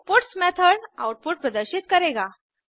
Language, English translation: Hindi, The puts method will display the output